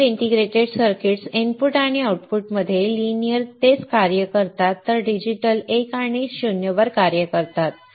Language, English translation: Marathi, Linear integrated circuits work linearity between input and output while digital works on 1 and 0